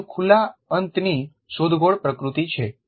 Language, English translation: Gujarati, So, it is a more open ended exploratory nature